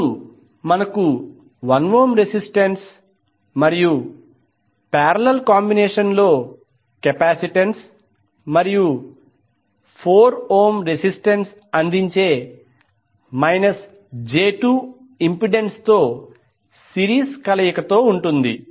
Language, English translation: Telugu, Then we have 1 ohm resistance and in series with parallel combination of minus j 2 impedance offered by the capacitance and 4 ohm resistance